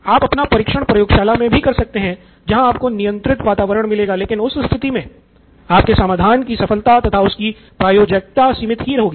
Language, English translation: Hindi, You can do your test in lab conditions, in controlled environment but it has limited success or limited applicability